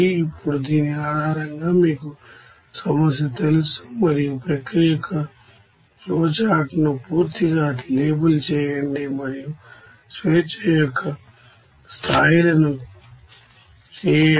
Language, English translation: Telugu, Now based on this you know problem draw and completely label a flowchart of the process and perform the degrees of freedom